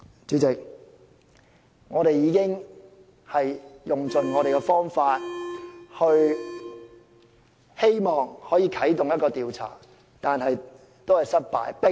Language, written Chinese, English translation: Cantonese, "主席，我們已用盡方法希望啟動調查，但都失敗。, President we have already exhausted all ways and means to activate an investigation but to no avail